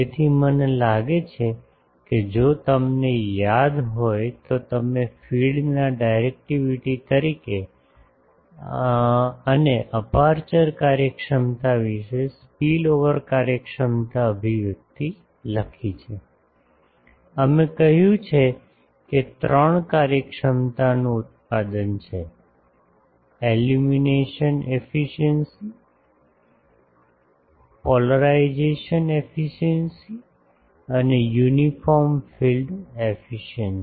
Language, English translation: Gujarati, So, I think if you remember you have written the spillover efficiency expression as the directivity of the feed and about the aperture efficiency we have said that it is the product of three efficiencies; the illumination efficiency, the polarisation efficiency and the uniform field efficiency